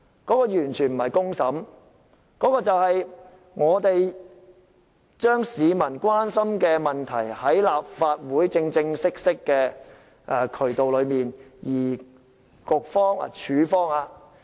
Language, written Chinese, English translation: Cantonese, 這完全不是公審，而是將市民關心的問題，透過立法會這個正式的渠道處理。, This is definitely not a public trial but to address an issue of public concern through the proper channel of the Legislative Council